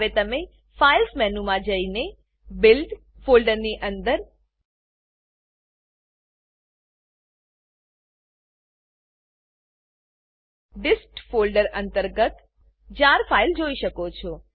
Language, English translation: Gujarati, You can now go to the Files menu, and under the build folder, under dist folder, you can see the jar file